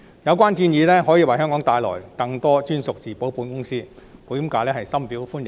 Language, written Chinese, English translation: Cantonese, 有關建議可以為香港帶來更多專屬自保保險業務，保險界對此深表歡迎。, The insurance industry greatly welcomes this proposal which can bring more captive insurance business to Hong Kong